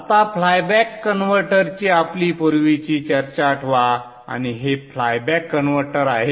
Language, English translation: Marathi, Now recall our earlier discussion of flyback converter